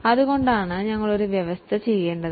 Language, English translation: Malayalam, That is why we need to make a provision